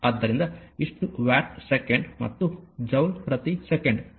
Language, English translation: Kannada, So, this much of watt second and joule per second is equal to watt